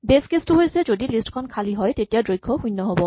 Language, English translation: Assamese, Well the base case if the list is empty it has zero length